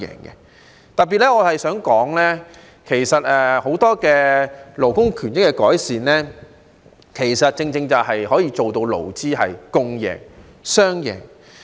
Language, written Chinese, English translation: Cantonese, 我特別想說的是，很多勞工權益的改善都可以做到勞資共贏、雙贏。, I would particularly like to mention that an improvement of many other labour benefits will also achieve a win - win situation for both employers and employees